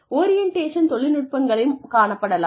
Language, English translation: Tamil, And, there could be orientation technology